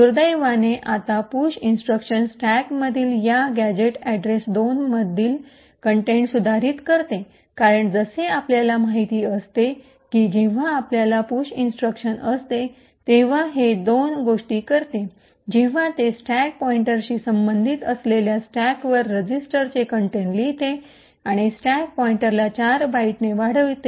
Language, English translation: Marathi, Unfortunately the push instruction now modifies the contents of this gadget address 2 in the stack because as we know when we have a push instruction it does two things it writes the contents of the register on the stack corresponding to the stack pointer and also increments the stack pointer by 4 bytes